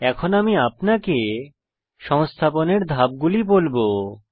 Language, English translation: Bengali, I shall now walk you through the installation steps